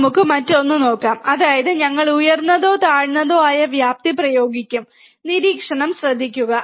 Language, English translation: Malayalam, Now, let us see another one, another one; that is, we will apply higher or lower amplitude and note down the observation